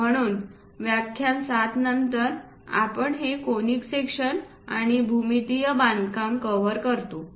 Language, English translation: Marathi, So, in lecture 7 onwards we cover these conic sections and geometrical constructions